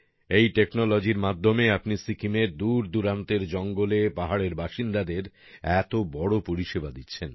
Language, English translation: Bengali, By using this technology, you are doing such a great service to the people living in the remote forests and mountains of Sikkim